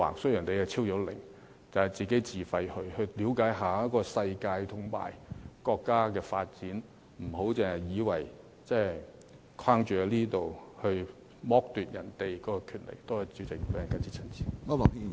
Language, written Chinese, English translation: Cantonese, 雖然你已超齡，但可以自費參加，了解一下世界和國家的發展，不要只局限在這裏，而剝奪別人的權利。, Although he has well past the age limit he can pay the cost himself and go and get to know the world and our country rather than staying put here and depriving other people of the opportunity